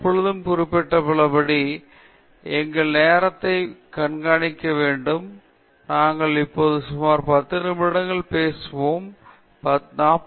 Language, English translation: Tamil, And, by the way, as I always mentioned, we need to keep track of our time; we are now down to about 10 minutes of our talk; we have finished about 40 minutes